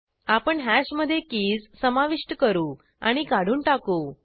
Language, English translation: Marathi, Now let us see add and delete of keys from hash